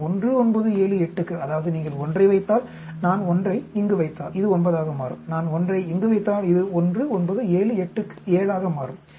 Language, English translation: Tamil, And for a 1, 9, 7, 8; that means, if you put 1, if I put 1 here, this will become 9, if I put 1 here, this will become 7 for a 1, 9, 7, 8